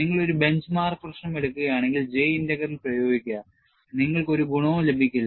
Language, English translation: Malayalam, See, if you take a bench mark problem and apply J Integral, you are not going to have any advantage